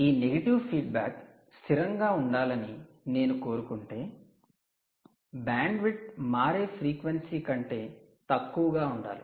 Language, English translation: Telugu, essentially, if you want this feedback negative feedback to remain stable, the bandwidth should be below the switching frequency